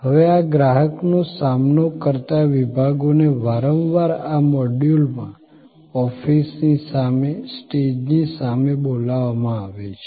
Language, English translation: Gujarati, Now, these customer facing departments are often called in this module, the front office, the front stage